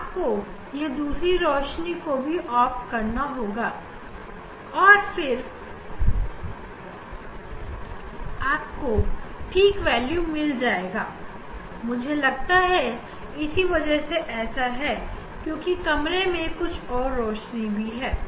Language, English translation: Hindi, you should switch off this other light ok, then you will get here 0 value or yes, I think that is the reason that because of the other light in the room